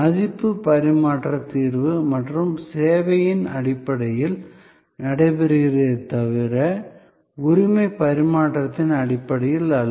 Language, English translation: Tamil, So, the exchange of value is taking place on the basis of solution and service and not on the basis of transfer of ownership